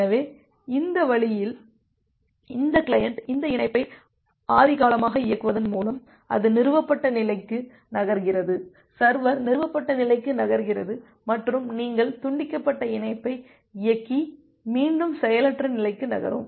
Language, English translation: Tamil, So, that way so this client by executing this connection primitive, it moves to the established state, the server moves to the established state and you execute the disconnect primitive and move to the idle state back again